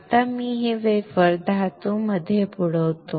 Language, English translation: Marathi, Now I will dip this wafer in metal